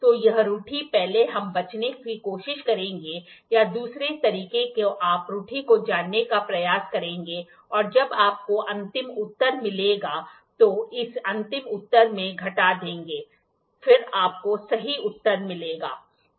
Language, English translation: Hindi, So, this error first we will try to avoid or the other way round is you try to know the error and when you get the final answer, subtract it from the final answer then you get the correct answer